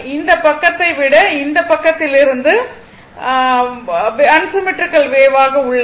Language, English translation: Tamil, It is unsymmetrical wave from this side than this side